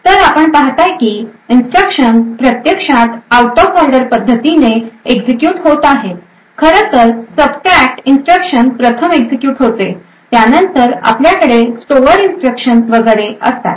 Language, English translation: Marathi, So, you see that the instructions are actually executed out of order, the subtract instruction in fact is executed first, then we have the store instruction and so on